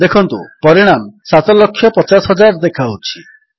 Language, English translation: Odia, Notice the result shows 7,50,000